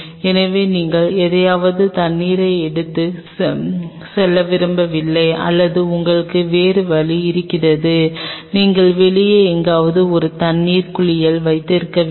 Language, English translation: Tamil, So, you do not want to carry water in something and go and in on it or you have other option is that you keep a water bath somewhere out here outside you may need one